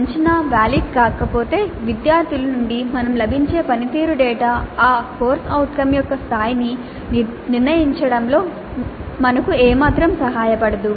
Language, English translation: Telugu, Unless the assessment is valid, the performance data that we get from the students will not be of any help to us in determining what is the level of attainment of that CO